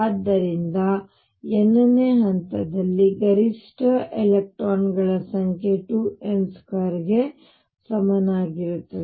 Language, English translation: Kannada, So, number of electrons maximum in the nth level is equal to 2 n square